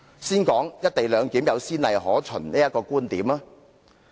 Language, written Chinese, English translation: Cantonese, 先談談"'一地兩檢'有先例可援"的觀點。, First of all let me talk about the view that there are precedents of co - location arrangement